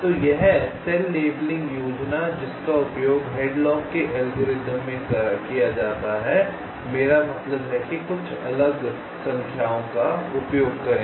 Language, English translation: Hindi, so this cell labeling scheme that is used in hadlocks algorithm, i mean use a, something called detour numbers